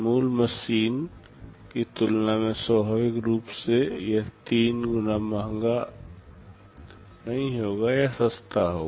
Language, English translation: Hindi, Naturally this will not be costing three times as compared to the original machine, this will be cheaper